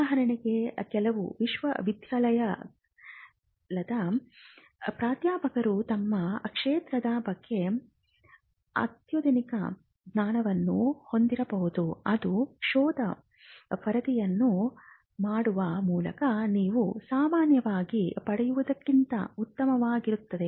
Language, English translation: Kannada, For instance, some university professors may have cutting edge knowledge about their field which would be much better than what you would normally get by doing a search report